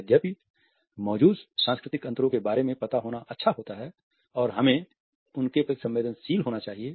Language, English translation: Hindi, While it is good to be aware of the cultural differences which exist and one should be sensitive to them